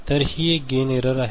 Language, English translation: Marathi, So, this is the gain error